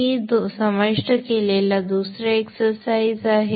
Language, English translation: Marathi, Another exercise which I have included is this